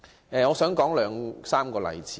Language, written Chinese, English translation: Cantonese, 我想舉出兩三個例子。, I would like to cite two or three examples